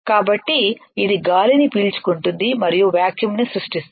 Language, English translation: Telugu, So, it will suck up the air and will create a vacuum